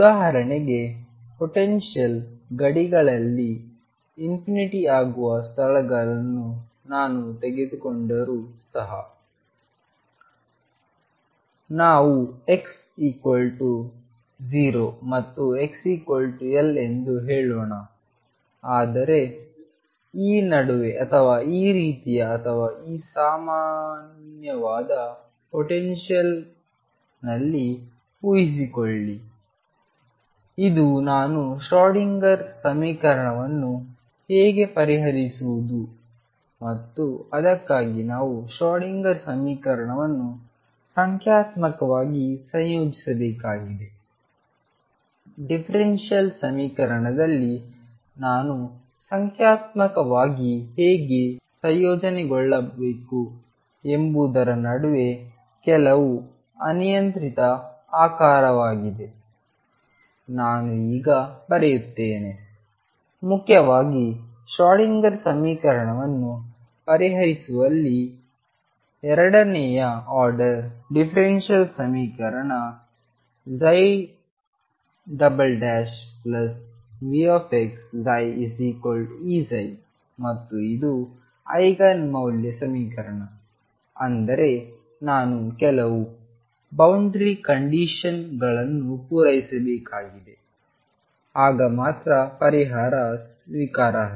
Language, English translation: Kannada, For example, even if I take a potential where the potential becomes infinity at the boundaries let us say x equal 0 and x equals l, but change the potential in between suppose this like this or in the potential which is like this or in general a potential which is some arbitrary shape in between how do I solve the Schrodinger equation and for that we have to numerically integrate the Schrodinger equation, how do I numerically integrate at differential equation, I will write now focus principally on solving the Schrodinger equation which is a second order differential equation psi double prime plus V x psi equals e psi and this is an Eigen value equation; that means, I have to satisfy certain boundary conditions then only the solution is acceptable